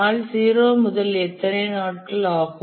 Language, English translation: Tamil, Starting from day zero, how many days it takes